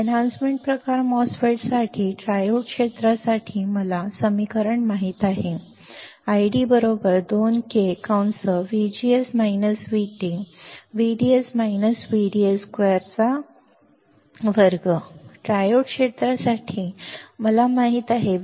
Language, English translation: Marathi, For enhancement type MOSFET, for triode region, I know the equation for triode region I D equals to 2 times K into bracket V G S minus V T into V D S minus V D S square by two bracket over; this is my equation for triode region